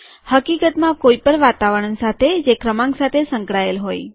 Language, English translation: Gujarati, In fact with any environment that has a number associated with it